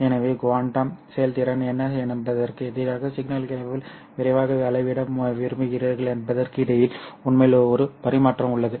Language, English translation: Tamil, So there is actually a trade off between how quickly you want to measure signals versus what would be the quantum efficiency